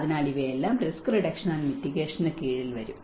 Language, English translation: Malayalam, So, these are all comes under risk reduction and mitigation